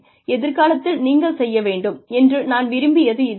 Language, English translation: Tamil, This is what, I would like you to do in future